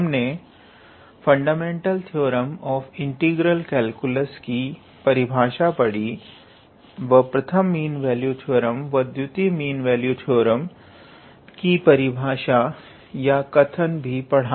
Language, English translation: Hindi, We also looked into the definition of first of the fundamental theorem of integral calculus, we also looked into the definition or the statement of first mean value theorem and the second mean value theorem